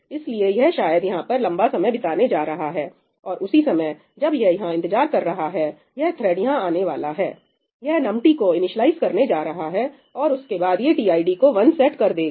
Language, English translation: Hindi, So, it is probably going to spend a long time over here, and in the meanwhile, while it is waiting over here, this thread is going to come, it is going to initialize num t and then it will set tid equal to 1